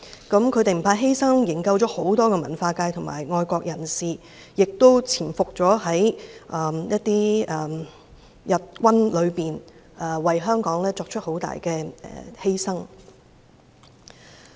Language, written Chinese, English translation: Cantonese, 他們不怕犧牲，營救了很多文化界及愛國人士，亦潛伏在日軍當中，為香港作出很大犧牲。, Not afraid of sacrifice they rescued many members of the cultural circles and patriots . They even lurked in the Japanese armies and made great sacrifices for Hong Kong